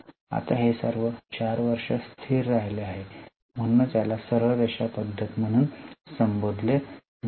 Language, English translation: Marathi, Now, this remains constant for all the 4 years, that's why it is called as a straight line method